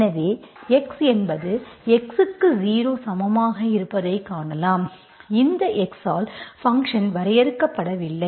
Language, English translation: Tamil, So you see that x is, at x equal to 0, this function is not defined, one by x